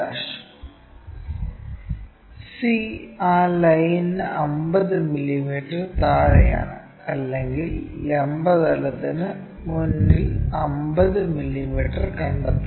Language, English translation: Malayalam, And c is 50 mm below that line or in front of vertical plane, locate 50 mm here this is c